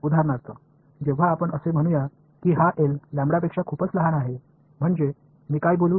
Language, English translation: Marathi, So, for example, when let us say this L is much smaller than lambda so; that means, what can I say